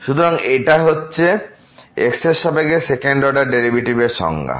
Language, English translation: Bengali, So, that will be the definition now of the second order derivative here with respect to